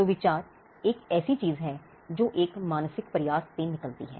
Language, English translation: Hindi, So, an idea is something that comes out of a mental effort